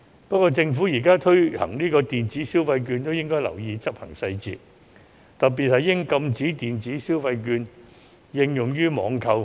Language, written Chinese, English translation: Cantonese, 不過，政府現在推行電子消費券亦應留意執行細節，特別應禁止電子消費券應用於網購。, Anyway the Government should also pay attention to the implementation details of the electronic consumption vouchers and should particularly prohibit the use of electronic consumption vouchers for online purchases